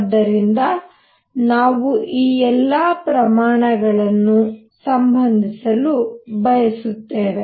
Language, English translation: Kannada, So, we want to relate all these quantities